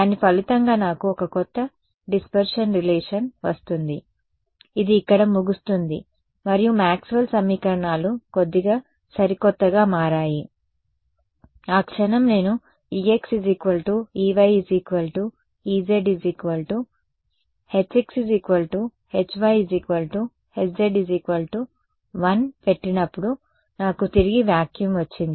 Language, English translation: Telugu, As a result of which I got a new dispersion relation which is over here and Maxwell’s equations got redefined a little bit, the moment I put e x e y e z all of them equal to 1 I get back vacuum ok